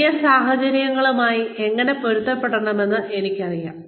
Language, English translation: Malayalam, I know, how to adapt to new situations